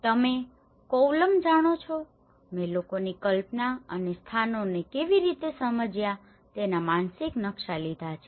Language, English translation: Gujarati, You know, Kovalam I have taken the mental maps of how people imagined and understand the places